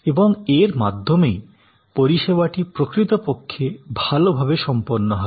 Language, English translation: Bengali, And thereby actually the service will be performed well